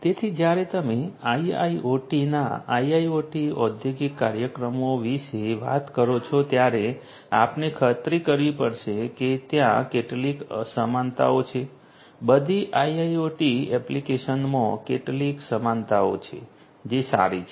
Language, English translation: Gujarati, So, when you are talking about IIoT industrial applications of IoT we have to ensure that there are certain commonalities, there are certain commonalities across all you know IIoT applications which are fine